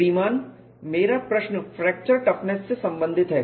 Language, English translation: Hindi, Sir my question is regarding a fracture toughness testing sir